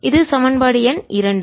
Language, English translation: Tamil, this my equation two